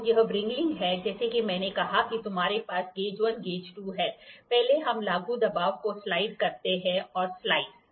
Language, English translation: Hindi, So, this is what is the wringing as I said you have gauge 1 gauge 2; first we slide the applied pressure and the slides